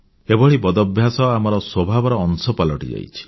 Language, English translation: Odia, These bad habits have become a part of our nature